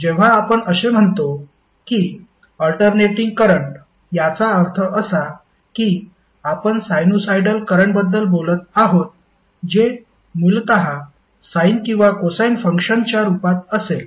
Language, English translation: Marathi, So, whenever you say that this is alternating current, that means that you are talking about sinusoidal current that would essentially either in the form of sine or cosine function